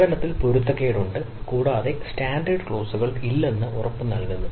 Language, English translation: Malayalam, so there is inconsistent in service and a guarantees, no standard clauses